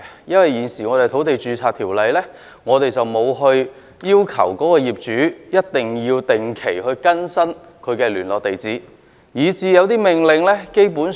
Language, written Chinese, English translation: Cantonese, 因為現行的《土地註冊條例》並沒有要求業主一定要定期更新他的聯絡地址，以至有些命令基本上......, However it is actually extremely difficult for DO officers to get in touch with all individual owners in an industrial building . This is because the existing Land Registration Ordinance does not require them to update their correspondence address regularly